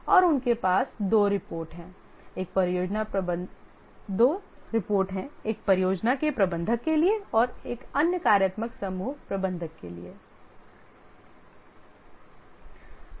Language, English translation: Hindi, One is to the manager of the project and the other is to the functional group manager